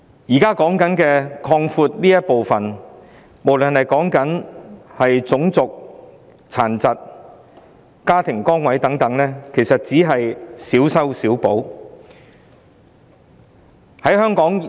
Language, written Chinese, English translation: Cantonese, 現行修例要擴闊的範疇，無論是涉及種族、殘疾、家庭崗位等，其實只是小修小補。, The current legislative amendments to expand the scope of discrimination involving race disability family status etc . are only patchy fixes